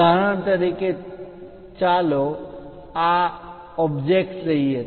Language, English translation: Gujarati, For example, let us take this object